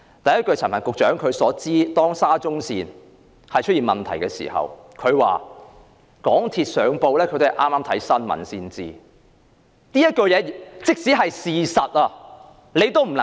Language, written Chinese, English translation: Cantonese, 第一，當陳帆局長談到沙中線問題的時候，他說自己也是剛從新聞報道得知道港鐵出了事故。, First when Secretary CHAN talked about SCL incident he said he only learnt MTRCLs incident from the newscast